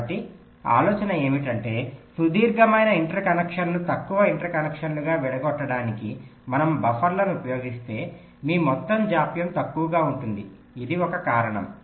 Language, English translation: Telugu, so the idea is that if we use buffers to break a long interconnection into shorter interconnections, your overall delay will be less